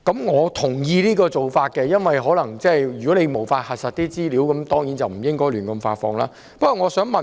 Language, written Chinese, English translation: Cantonese, 我同意這做法，如果無法核實資料，當然不應胡亂發放文件。, I agree with this approach . If the information in a document cannot be verified that document should certainly not be published arbitrarily